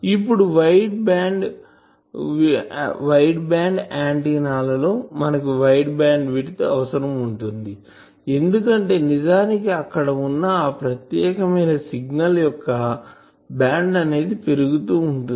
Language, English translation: Telugu, Now in for wide band antennas now what is this we require wide bandwidth because various actually a particular signal its band is getting increased